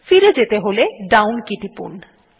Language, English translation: Bengali, To go back press the down key